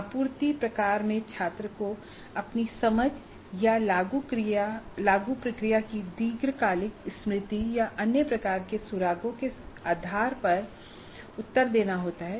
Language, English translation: Hindi, In the supply type, the student has to supply the answer based on his or her understanding or long time memory of the apply procedure or other kinds of clues